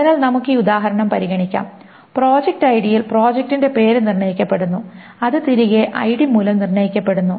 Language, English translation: Malayalam, So let us consider this example and so project name is determined on project ID which in turn is determined by ID